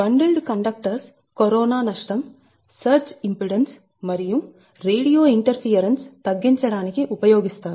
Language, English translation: Telugu, so bundled conductors are also reduced, the corona loss surge impedance and radio interferance right